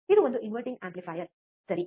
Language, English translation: Kannada, Because this is the inverting amplifier, alright